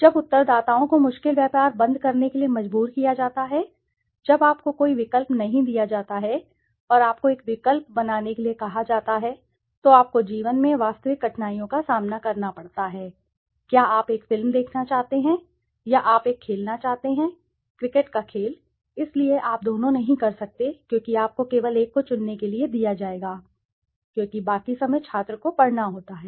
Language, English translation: Hindi, When respondents are forced to make difficult trade off, when you are not given an option and you are asked to make a choice, there you have to make a real difficulties in life, do you want to watch a movie or you want to play a game of cricket so you cannot do both because you will only be given to choose one, because rest of the time the student has to study